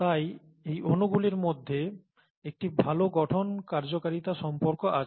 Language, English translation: Bengali, So there is a good structure function relationship between these molecules